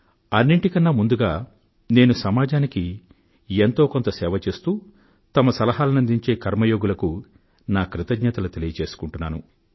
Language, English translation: Telugu, First of all, I express my gratitude to the Karma yogis and those people who have offered some or the other service to the society and recommend maximum suggestions